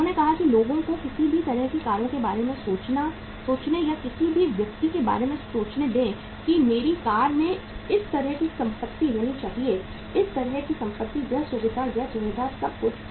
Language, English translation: Hindi, They said that let the people think about or any person think about any kind of the cars that my car should have this kind of the property, that kind of the property, this feature, that feature, everything